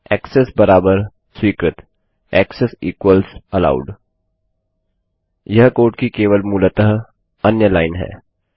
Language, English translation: Hindi, Access equals Allowed Thats just basically another line of code